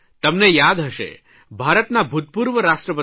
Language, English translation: Gujarati, You may remember that the former President of India, Dr A